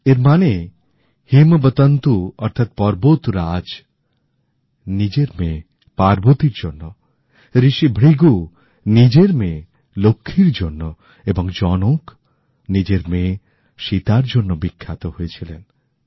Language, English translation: Bengali, Which means, Himwant, Lord Mount attained fame on account of daughter Parvati, Rishi Brighu on account of his daughter Lakshmi and King Janak because of daughter Sita